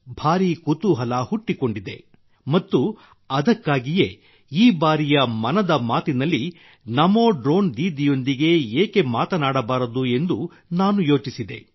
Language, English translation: Kannada, A big curiosity has arisen and that is why, I also thought that this time in 'Mann Ki Baat', why not talk to a NaMo Drone Didi